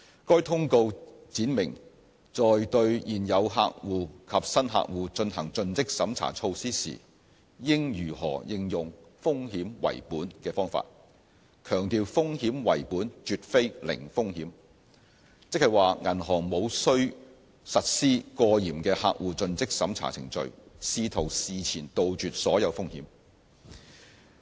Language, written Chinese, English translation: Cantonese, 該通告闡明在對現有客戶及新客戶進行盡職審查措施時應如何應用"風險為本"的方法，強調"風險為本"絕非"零風險"，即是說銀行無需實施過嚴的客戶盡職審查程序，試圖事前杜絕所有風險。, The Circular explains how the risk - based approach should be applied to CDD process for account opening and maintenance . It underlines that the risk - based approach is not meant to be a zero failure regime and hence banks should not implement overly stringent CDD process with a view to eliminating ex - ante all risks